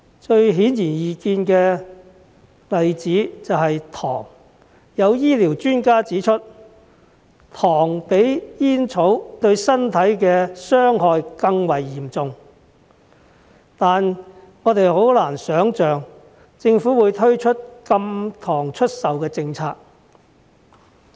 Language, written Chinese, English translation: Cantonese, 最顯而易見的例子便是糖，有醫療專家指出，糖比煙草對身體的傷害更為嚴重，但我們很難想象，政府會推出禁售糖的政策。, The most obvious example is sugar . Some medical experts have pointed out that sugar is more harmful to our body than tobacco . Yet we can hardly imagine that the Government will implement any policy to ban sugar